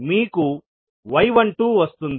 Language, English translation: Telugu, You will get y 12